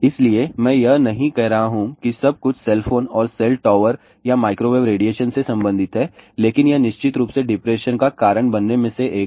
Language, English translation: Hindi, So, I am not saying that everything is related to cell phone and cell tower or microwave radiation but that is definitely definitely one of the reason to cause depression